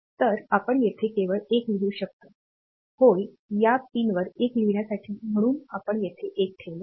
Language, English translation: Marathi, So, we can just we can write a 1 here; so, to write a 1 to this pin; so we put a 1 here